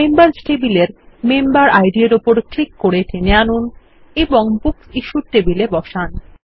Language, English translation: Bengali, Click on the Member Id in the Members table and drag and drop it in the Books Issued table